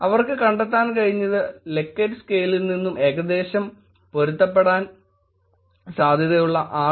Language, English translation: Malayalam, What they were able to find out was highly likely, which on the likert scale, is highly likely matches where about 6